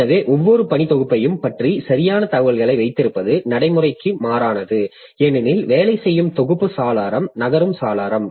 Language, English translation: Tamil, So, keeping the exact information about each working set is impractical since the working set window is a moving window